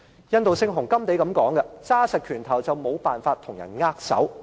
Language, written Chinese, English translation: Cantonese, 印度聖雄甘地曾經說過："緊握拳頭便無法與別人握手"。, There is this quote from Mahatma GANDHI of India You cannot shake hands with a clenched fist